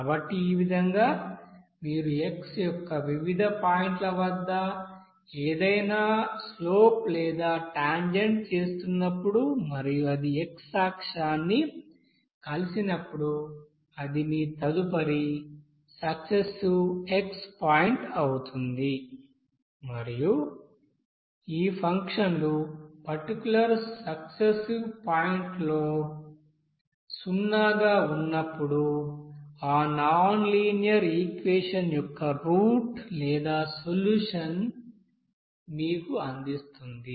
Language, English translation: Telugu, So in this way you will see that at different point of x whenever you are making any slope or tangent and when it intersects to that x axis that will be your next you know successive point of x and at when this you know functions will be coming zero at that particular successive points that will give you the root or solution of that nonlinear equation